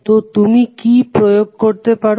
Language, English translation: Bengali, So what you can apply